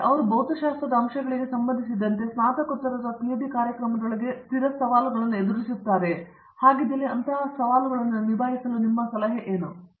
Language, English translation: Kannada, Do they still face specific challenges in settling into a masters or a PhD program with respect to the physics aspects of it and if so, what do they tend to do to you know handle such challenges